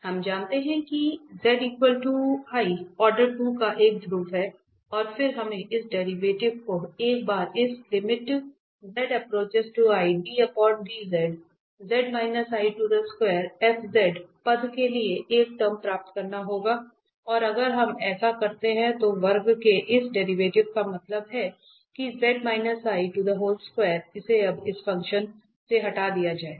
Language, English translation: Hindi, z equal to i we know it is a pole of order 2 and then this we have to get this derivative ones for this z minus i square f z a term and if we do so this derivative here of the square means this z minus i square will be removed from this function now